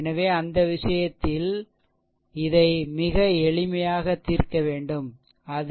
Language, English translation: Tamil, So, in that case; so, you have to solve this one very simple, it is